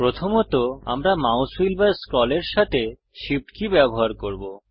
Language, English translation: Bengali, First we use the Shift key with the mouse wheel or scroll